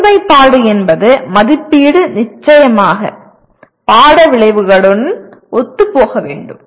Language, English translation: Tamil, Alignment means assessment should be in alignment with the course outcomes